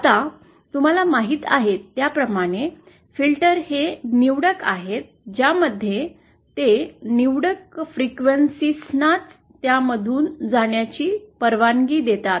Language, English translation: Marathi, Now, filters as you know, they are selective in which frequencies they allow to pass through them